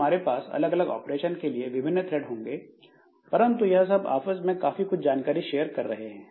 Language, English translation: Hindi, So, we will have separate threads for doing different for separate operations, but there will be lots of sharing between them